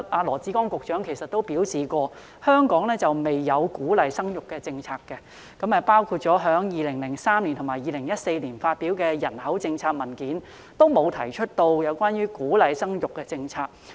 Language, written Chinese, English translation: Cantonese, 羅致光局長曾表示，香港政府沒有鼓勵生育的政策，在2003年及2014年所發表有關人口政策的文件中，均沒有提出鼓勵生育的政策。, Secretary Dr LAW Chi - kwong once said that the Hong Kong Government did not have any policy to encourage childbearing . Nor is there any mention of policy encouraging childbearing in the documents on population policy published in 2003 and 2014